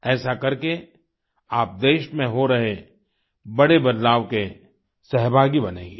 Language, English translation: Hindi, This way, you will become stakeholders in major reforms underway in the country